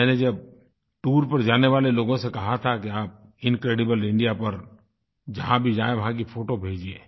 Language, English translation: Hindi, I asked people who were planning to go travelling that whereever they visit 'Incredible India', they must send photographs of those places